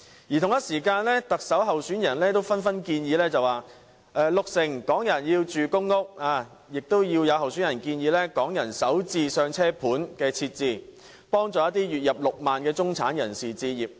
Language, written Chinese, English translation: Cantonese, 與此同時，各特首候選人也紛紛提出各種建議，有人說要讓六成港人入住公屋，又有候選人建議設置"港人首置上車盤"，幫助月入6萬元的中產人士置業。, In the meantime all the Chief Executive hopefuls put forth proposals relevant to this topic . Someone proposed to accommodate 60 % of the local population with public housing while another candidate suggested that homes for Hong Kongs first - time home buyers be offered in a bid to help those middle - class people with monthly income at 60,000 acquire their own homes